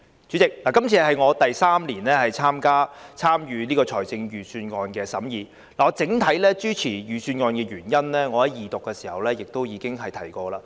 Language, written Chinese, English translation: Cantonese, 主席，這是我第三年參與財政預算案的審議，我整體支持預算案的原因，已在《條例草案》二讀時提及。, Chairman this is the third year in which I have participated in scrutinizing the Budget . I have given my reason for supporting the Budget during the Second Reading debate